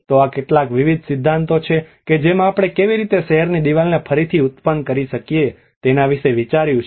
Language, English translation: Gujarati, So these are some various theories which has also thought about so how in what ways we can reproduce a city wall